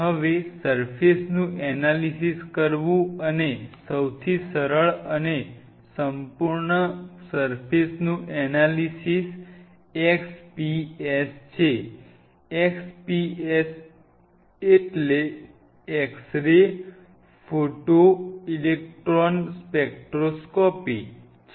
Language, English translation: Gujarati, Now, doing a surface analysis and one of the easiest and most thorough surface analyses what you can do is X P S, x p s stands for x ray photo electron spectroscopy